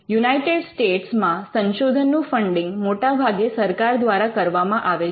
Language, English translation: Gujarati, Now, in the United States the major funding happens through government funded research